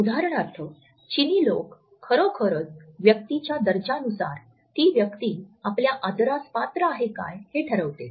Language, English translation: Marathi, For example, Chinese people really care for status this is what determines if you deserve respect